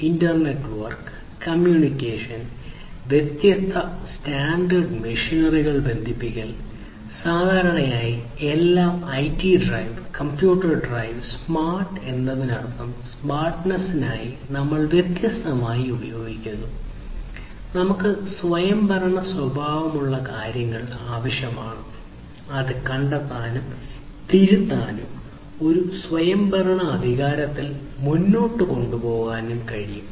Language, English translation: Malayalam, Internet work, communication, connecting different standalone machinery, typically which used to be all IT driven, computer driven; and smart means we are using different for smartness we need autonomous behavior things which can be detected, corrected and taken forward in an autonomous manner that is basically the smartness